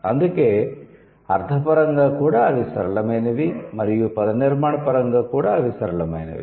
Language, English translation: Telugu, So, that is why semantically also they are simple, morphologically also they are simple